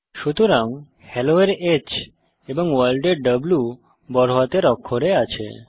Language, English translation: Bengali, So, H of Hello and W of World are in uppercase